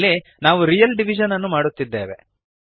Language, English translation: Kannada, In this statement we are performing real division